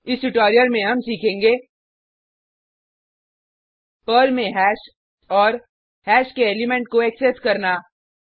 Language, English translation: Hindi, In this tutorial, we learnt Hash in Perl and Accessing elements of a hash using sample programs